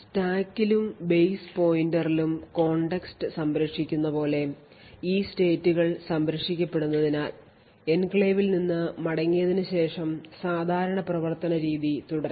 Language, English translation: Malayalam, So, these states saving like context saving in the stack and base pointer and so on are saved so that after returning from the enclave the normal mode of operation can continue